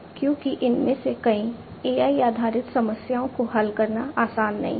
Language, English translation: Hindi, Because, many of these AI based problems are not easy to solve